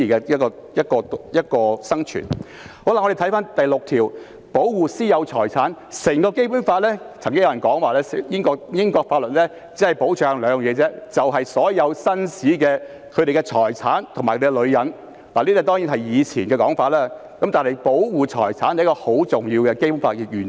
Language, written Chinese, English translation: Cantonese, 至於第六條提及"保護私有財產"，曾經有人說英國法律只保障兩方面，就是所有紳士的財產和他們的女人，這當然是以前的說法，但保護財產是《基本法》中很重要的原則。, As regards Article 6 which reads protect the right of private ownership of property some people said that British laws would protect only two things ie . all the gentlemens property and their ladies . This was of course a saying in the past